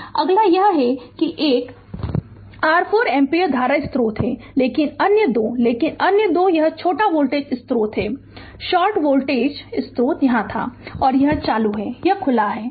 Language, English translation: Hindi, Next is your this one that next is this one that your 4 ampere is there current source, but the other 2, but other 2 it is shorted voltage source is shorted voltage source was here and this is current right this is open